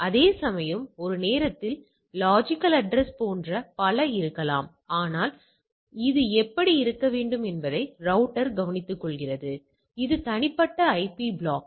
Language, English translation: Tamil, Whereas there can be multiple like logical address at the same time, but the router takes care of that how it to be there like these are private IP block